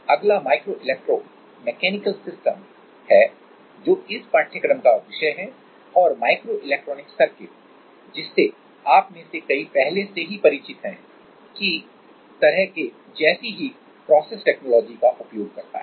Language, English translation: Hindi, Next is micro electro mechanical systems which is the topic of this course and microelectronic circuits which many of you are already familiar with it like uses the similar kind of process technology